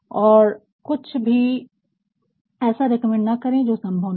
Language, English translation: Hindi, And, do not ever recommend something that is not possible